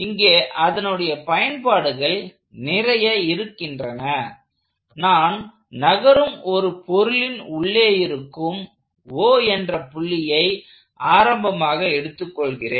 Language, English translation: Tamil, So, there will be several applications, where I would like to choose O my origin as a point inside the body to be moving with the body